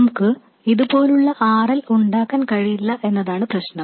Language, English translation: Malayalam, Now the problem is we cannot have RL like this